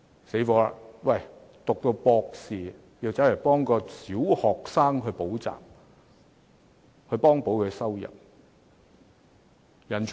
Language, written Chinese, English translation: Cantonese, 糟糕了，博士生也要替小學生補習來幫補收入。, Even doctoral students have to work as tutors of primary pupils to make ends meet